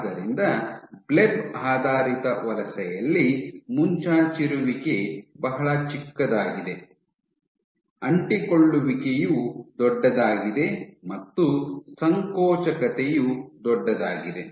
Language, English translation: Kannada, So, this is called Bleb based migration in which your protrusion is very small, adhesion is large and contractility is large